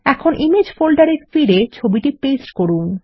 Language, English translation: Bengali, Now paste the image back into the image folder